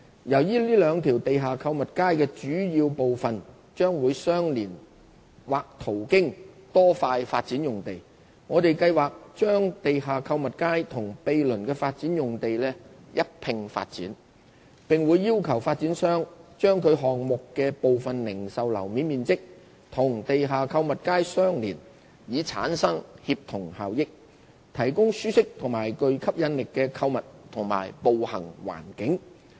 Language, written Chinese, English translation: Cantonese, 由於這兩條地下購物街的主要部分將會相連或途經多塊發展用地，我們計劃把地下購物街與毗鄰的發展用地一併發展，並會要求發展商把其項目的部分零售樓面面積與地下購物街相連，以產生協同效益，提供舒適及具吸引力的購物及步行環境。, Since the major parts of these two underground shopping streets will adjoin or run alongside various development sites we plan to develop the two streets and their adjacent development sites together . To achieve synergy effect and provide a comfortable and attractive shopping and walking environment we will require the developers to arrange part of the retail floor area of their development sites to connect with the underground shopping streets